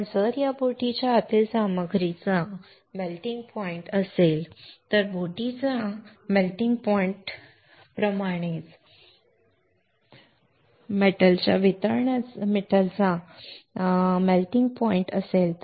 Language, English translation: Marathi, But what if the material inside this boat has a melting point has a melting point of metal similar to the melting point of boat